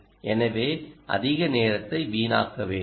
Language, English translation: Tamil, so lets not waste much time